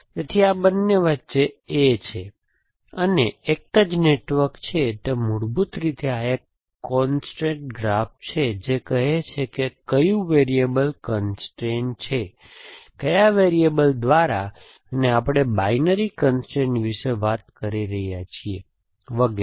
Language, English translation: Gujarati, So, there is A between these two, this is called a network from same network, it basically a constrate graph which says which variable is constrain, by which variable and we are talking about binary constrain